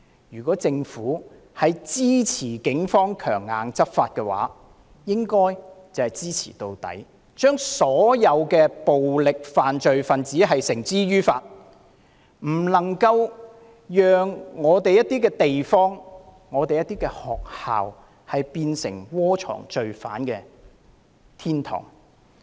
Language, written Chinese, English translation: Cantonese, 如政府支持警方強硬執法，便應支持到底，把所有暴力犯罪分子繩之於法，不能讓本港某些地方、學校淪為窩藏罪犯的天堂。, If the Government supports strong law enforcement actions by the Police its support must be unwavering so that all violent offenders will be brought to justice and not a single area and school in Hong Kong will be made a hiding place for criminals